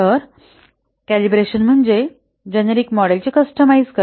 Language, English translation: Marathi, So, calibration is in a sense a customizing a generic model